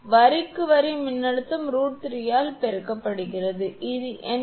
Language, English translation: Tamil, Line to line voltage multiply by root 3, it will become 82